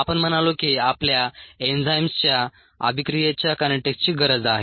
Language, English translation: Marathi, we said that we need the kinetics of the enzyme reaction